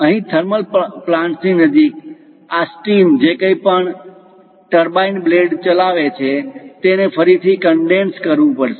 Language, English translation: Gujarati, Here near thermal plants, whatever this steam which drives the turbine blades, again has to be condensed